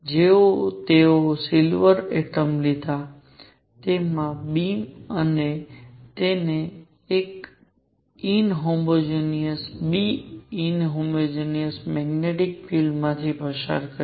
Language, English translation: Gujarati, In which they took silver atoms, their beam and they passed it through an inhomogeneous B, inhomogeneous magnetic field